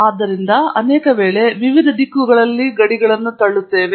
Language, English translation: Kannada, Therefore, we are often pushing the boundaries in various different directions